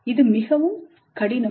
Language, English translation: Tamil, It is too difficult